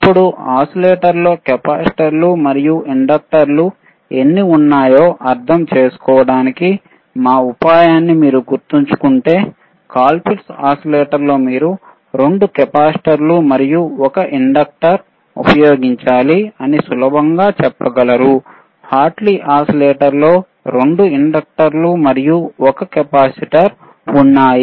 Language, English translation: Telugu, Now, if you remember our trick to understand how many capacitors and how many inductors you have to use, in which oscillator, you have been sseen that in a Ccolpitts oscillator you can easily say that it iswas 2 capacitors and, 1 inductor right, while in Hartley oscillator there were 2 inductors and 1 capacitor